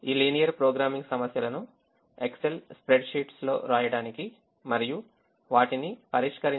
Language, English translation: Telugu, you need a valid excel to write these linear programming problems on the excel spreadsheets and two solve them